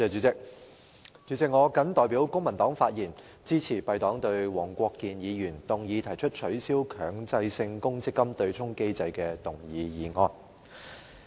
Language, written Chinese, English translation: Cantonese, 主席，我謹代表公民黨發言，支持黃國健議員動議的"取消強制性公積金對沖機制"議案。, President on behalf of the Civic Party I speak in support of the motion on Abolishing the Mandatory Provident Fund offsetting mechanism moved by Mr WONG Kwok - kin